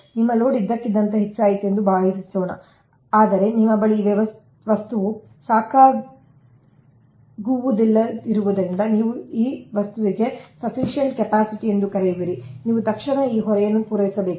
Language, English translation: Kannada, suppose you load has suddenly increase, suddenly increase, but as you dont have sufficient this thing ah, your what you call ah, sufficient ah capacity to this thing ah, that you have to immediately supply that load